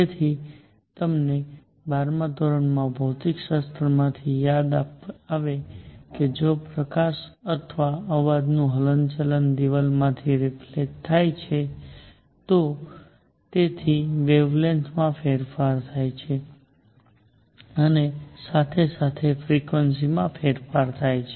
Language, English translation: Gujarati, So, you recall from a twelfth grade physics if a light or sound reflects from a moving wall its wavelength changes its frequency changes